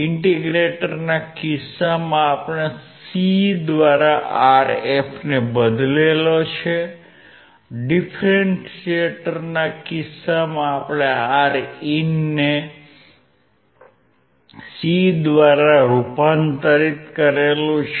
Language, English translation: Gujarati, In case of integrator we have changed Rf by C; in case of differentiator we have converted Rin by C